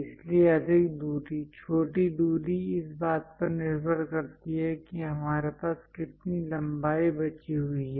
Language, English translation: Hindi, So, the greater distance, smaller distance depends on how much length we have leftover